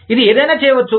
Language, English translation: Telugu, It may do, something